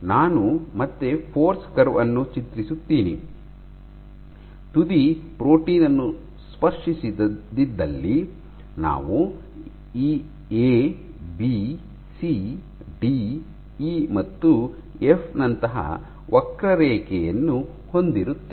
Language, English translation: Kannada, So, let me again draw the force curve, for the case where the tip does not touch the protein you will have a curve something like this; A, B, C, D, E, F